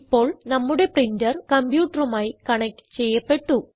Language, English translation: Malayalam, Now, our printer is connected to the computer